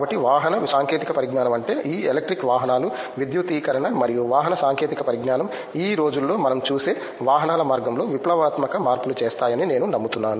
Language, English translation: Telugu, So, I believe that vehicular technology I mean this electric vehicles itself, electrification and the vehicular technology will revolutionize the way vehicles I mean we see these days